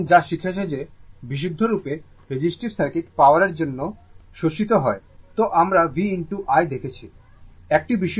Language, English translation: Bengali, So, what we have learnt that for purely resistive circuit power absorbed is, we have seen that is v into i right